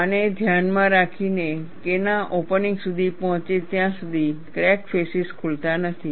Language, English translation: Gujarati, In view of this, the crack faces do not open, until K reaches K opening